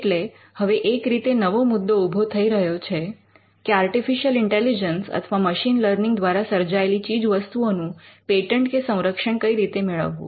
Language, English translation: Gujarati, So, one way though there are issues being raised to how we could patent or protect the products that are coming out of artificial intelligence and machine learning